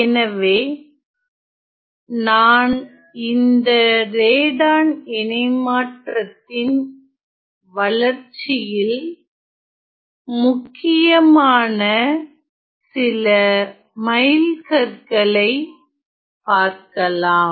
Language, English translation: Tamil, So, let me just mention some of the major landmarks in the development of Radon transform